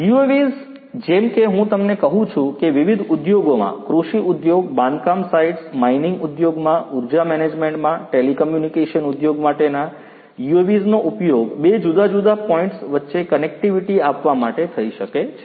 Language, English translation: Gujarati, UAVs as I was telling you would be used in different industries; in agricultural industry construction sites mining industry, energy management for telecommunication industry, for offering connectivity between different remote places UAVs could be used